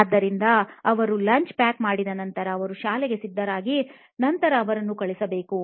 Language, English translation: Kannada, So, once they pack lunch, they have to get them ready to for school and then send them across